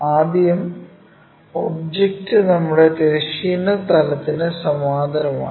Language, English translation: Malayalam, Let us see how to do that first the object is parallel to our horizontal plane